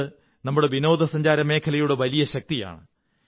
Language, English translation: Malayalam, This is the power of our tourism